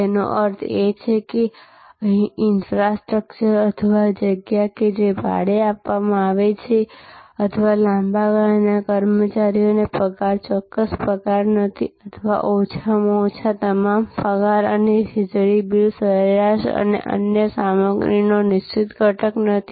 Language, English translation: Gujarati, That means, the infrastructure or the place that has been rented or the salaries of a long term employees, fixed salaries which are not or at least the fixed component of all salaries and electricity bill, average and other stuff